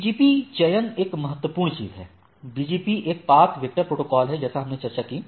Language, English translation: Hindi, So, there are other things like BGP selection, BGP is a path vector protocol as we discussed